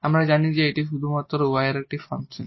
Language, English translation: Bengali, And that we will tell us that this is a function of y alone